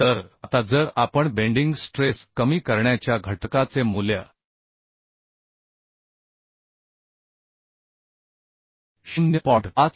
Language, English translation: Marathi, 52 right So we could see that bending stress reduction factor is coming 0